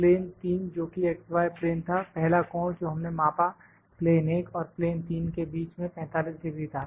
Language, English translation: Hindi, Plane 3 that was x y plane, the angles that we measure the angle for the first angle that we measure between plane 1 and plane 3 plane 1 and plane 3 the angle was 45 degree